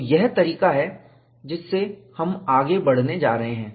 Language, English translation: Hindi, That is the way, that we are going to proceed